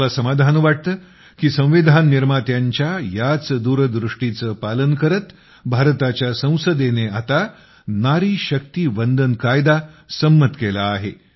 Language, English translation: Marathi, It's a matter of inner satisfaction for me that in adherence to the farsightedness of the framers of the Constitution, the Parliament of India has now passed the Nari Shakti Vandan Act